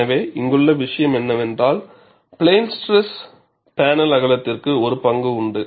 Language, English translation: Tamil, So, the point here is, the panel width has a role to play in plane stress